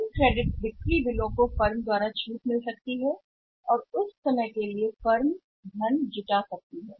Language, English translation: Hindi, Those credit sales bills can be got discounted by the firm and for the time being firm can raise the funds